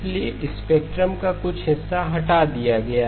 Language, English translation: Hindi, So some portion of the spectrum got removed